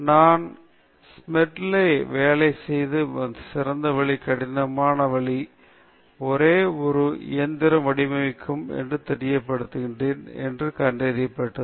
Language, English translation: Tamil, I found that the best way to make Smedley work, work hard, is to let him know he is designing a machine to replace me